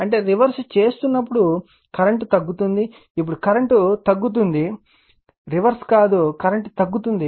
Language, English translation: Telugu, When you are reversing the that means, current is decreasing now current is we are decreasing, not reversing, we are decreasing the current